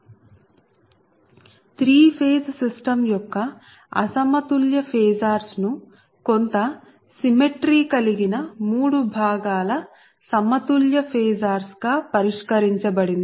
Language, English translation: Telugu, so the unbalanced phasors of a three phase system can be resolved in to the following three component sets of balanced phases which possess certain symmetry